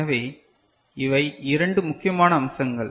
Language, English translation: Tamil, So, these are the two important aspects